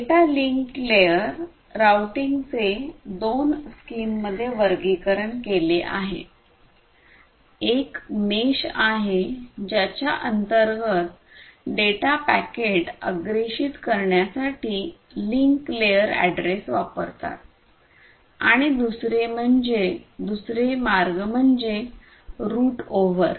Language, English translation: Marathi, So, in data link layer routing is classified into two schemes, one is the mesh under which utilizes the link layer addresses to provide to forward data packets and the other one is the route over, and the other one is the route over